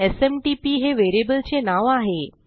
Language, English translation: Marathi, And the variable name is SMTP